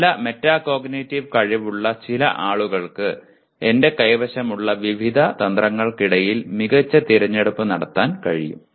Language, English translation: Malayalam, Some people with good metacognitive skills are able to make a better choice between the various strategies that I have